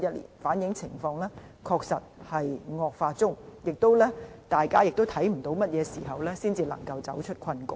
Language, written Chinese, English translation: Cantonese, 數據反映情況確實在惡化中，而大家也看不到甚麼時候才可走出困局。, The statistics show that the situation is indeed deteriorating and we honestly have no idea when this predicament will end